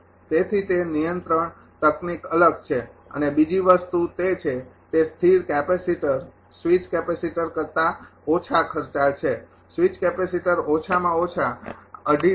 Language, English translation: Gujarati, So, that control technique is different and another thing is that; that fixed capacitor is less expensive than switch capacitor switch capacitor is more expensive at least 2